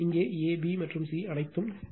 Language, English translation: Tamil, And here also a, b, and c all are mass